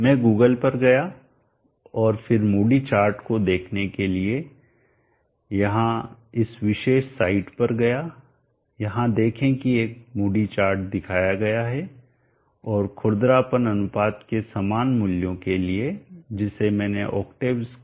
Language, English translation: Hindi, I went to Google and then went to this particular side here to look at the moody chart see that there is a moody chart given here and for similar values of roughness ratios which I have chosen in the octave script